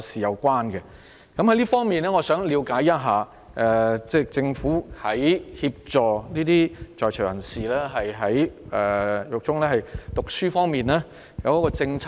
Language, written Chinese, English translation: Cantonese, 就此，我想了解，政府在協助在囚人士於獄中進修方面，是否訂有鼓勵政策？, In this connection may I ask the Government whether there is any encouragement policy to support PICs pursing studies in prison?